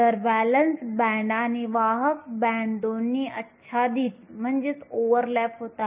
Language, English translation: Marathi, So, both the valence band and the conduction band overlap